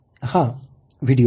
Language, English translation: Marathi, Look at this very video